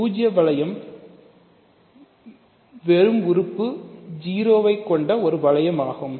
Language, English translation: Tamil, So, the zero ring is just the ring consisting of just the element 0